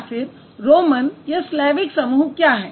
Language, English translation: Hindi, What is the romance type and what is the Slavic type